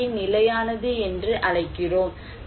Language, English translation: Tamil, Then, we call it as sustainable